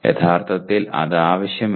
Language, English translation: Malayalam, Actually it is not necessary